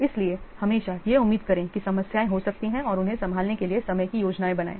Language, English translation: Hindi, So always expect that problems to occur and plan time to handle them